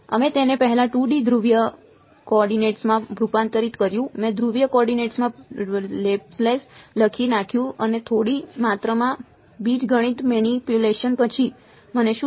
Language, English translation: Gujarati, We converted it first to 2D polar coordinates I wrote down the Laplace in the polar coordinates and after some amount of algebraic manipulation, what did I end up with